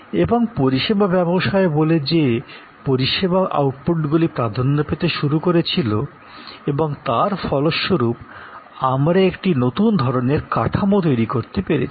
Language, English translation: Bengali, And service business says service outputs started dominating and as a result we have created a new kind of a structure